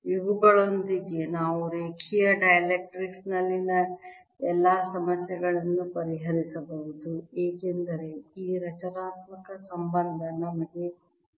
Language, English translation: Kannada, with these we can solve all the problems in linear dielectrics because i know this constituent relationship plus all one example